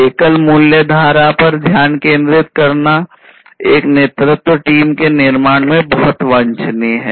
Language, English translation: Hindi, Focusing on a single value stream is very much desirable building a leadership team